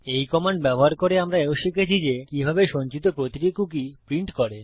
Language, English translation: Bengali, Using this command here, we also learnt how to print out every cookie that we had stored